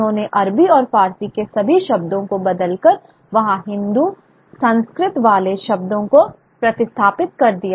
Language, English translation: Hindi, So there was this process of kind of sanitization of Arabic and Persian words from Hindustani and sort of replacing them with with Sanskrit words